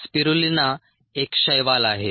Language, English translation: Marathi, spirulina is an algae